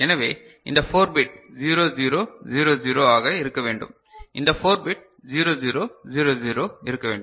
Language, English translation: Tamil, So, this 4 bit should be 0 0 0 0 this 4 bit should be 0 0 0 0 ok